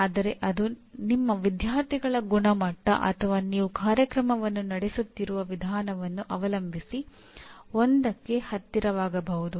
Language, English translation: Kannada, But it can be as close as to 1 depending on the quality of your students, the way you are conducting the program and so on